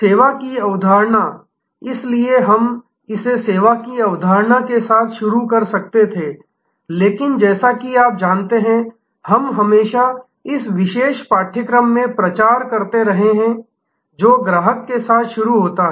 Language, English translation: Hindi, Service concept, so we could have started with this the service concept, but as you know, we have always been propagating in this particular course that start with the customer